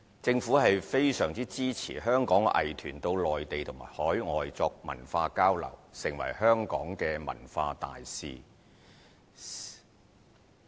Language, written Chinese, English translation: Cantonese, 政府非常支持香港藝團到內地及海外作文化交流，成為香港的文化大使。, The Government fully supports Hong Kongs arts groups to conduct cultural exchanges in the Mainland and overseas and act as cultural ambassadors of Hong Kong